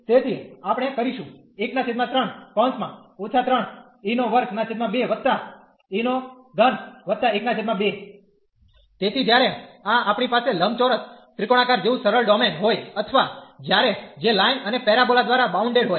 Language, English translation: Gujarati, So, this when we have the simple domain like the rectangular triangular or when we have seen with which was bounded by the line and the parabola